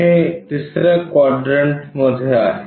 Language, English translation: Marathi, So, it is in the second quadrant